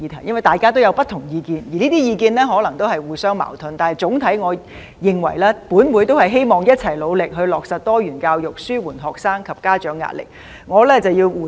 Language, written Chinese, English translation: Cantonese, 雖然大家都有不同意見，而這些意見可能都是互相矛盾的，但總體來說，我認為議員都希望一起努力"落實多元教育紓緩學生及家長壓力"。, Members have expressed different views which may be contradictory but on the whole I think all Members hope to join efforts in Implementing diversified education to alleviate the pressure on students and parents